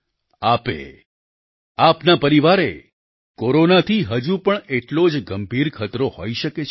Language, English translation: Gujarati, You, your family, may still face grave danger from Corona